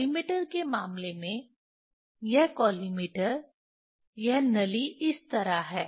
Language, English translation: Hindi, In case of collimator, this collimator this tube is like this